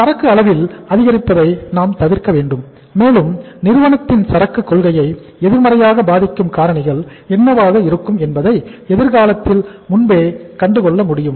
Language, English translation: Tamil, We should avoid the increase in the inventory level and we should be able to forecast or forseeing the future that what could be the factors that might affect the inventory policy of the company negatively